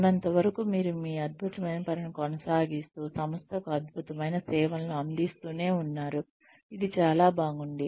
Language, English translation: Telugu, As long as, you continue doing this fabulous work and delivering fabulous service to the organization, it is great